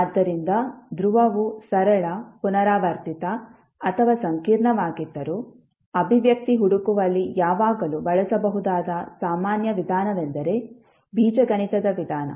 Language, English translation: Kannada, So, whether the pole is simple, repeated or complex, the general approach that can always be used in finding the expression is the method of Algebra